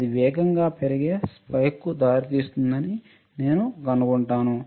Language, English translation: Telugu, I find that it will result in a fast raising spike